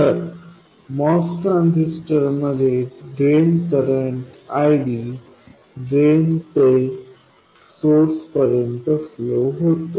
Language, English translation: Marathi, Now, in a Moss transistor, the drain current ID flows from drain to source